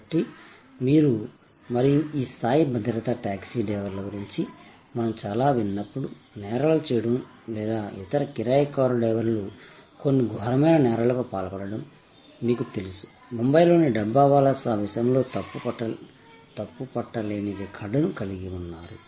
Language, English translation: Telugu, So, you and this level of security, when we hear so much about taxi drivers, you know committing crimes or different other hired car drivers getting into some heinous crimes, the Dabbawalas of Mumbai have an impeccable record in that respect